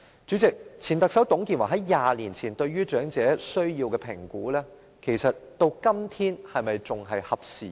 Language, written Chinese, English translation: Cantonese, 主席，前特首在20年前對長者需要的評估，到了今天可能已不合事宜。, President the assessment of the needs of the elderly made by a former Chief Executive two decades ago may already be obsolete nowadays